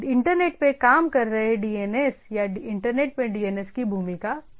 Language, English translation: Hindi, DNS in the of role of DNS in the internet working or DNS in the internet